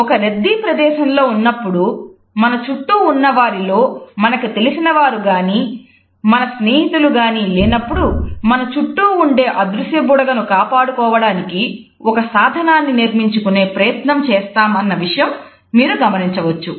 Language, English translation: Telugu, You might notice that, when we are in a crowded space when there is nobody around us who is friendly with us or who is our acquaintant, we try to develop a mechanism to create a make believe sense that this invisible bubble is still protected